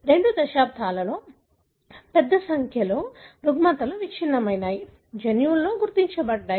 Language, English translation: Telugu, In the two decades a large number of disorders have been dissected, genes have been identified